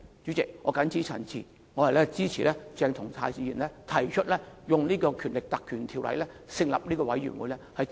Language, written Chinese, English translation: Cantonese, 主席，我謹此陳辭，支持鄭松泰議員提出引用《立法會條例》成立專責委員會，調查整件事。, President I so submit and support Dr CHENG Chung - tais motion to set up a select committee under the Ordinance to inquire into the whole incident